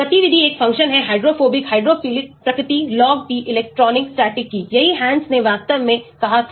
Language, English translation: Hindi, The activity will be a function of hydrophobic, hydrophilic nature log P electronic, static , that is what Hansch’s said actually